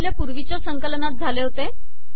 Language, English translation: Marathi, So this is what happened in the previous compilation